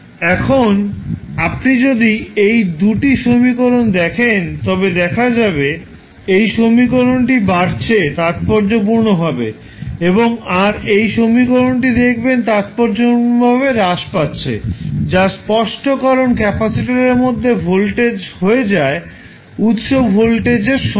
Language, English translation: Bengali, Now, if you see these 2 equations this equation is increasing exponentially and when you see this equation this is decreasing exponentially which is obvious because when the voltage settles across the capacitor equals to the source voltage